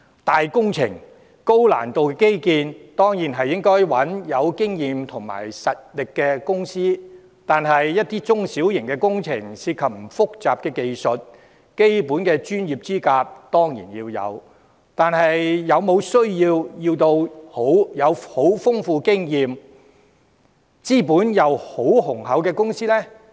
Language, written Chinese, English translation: Cantonese, 規模大、難度高的基建工程，當然要找有經驗有實力的公司承接，但一些中小型工程，涉及的技術不複雜，基本的專業資格當然需要，但是否一定要由經驗十分豐富、資本又十分雄厚的公司承辦？, Large - scale and more sophisticated infrastructure projects should certainly be awarded to companies with more experience and strength . However some small and medium projects only require basic professional qualifications but do not involve sophisticated technology . Is it necessary for these projects to be undertaken by highly experienced and heavily capitalized companies?